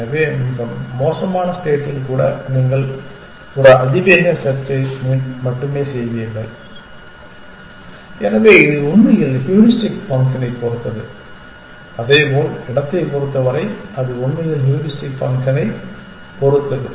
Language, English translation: Tamil, So, even in the worst case you will only do an exponential amount of search essentially, so it really depends upon the heuristic function likewise for space it really depends upon the heuristic function